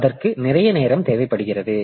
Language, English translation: Tamil, So, that takes a lot of time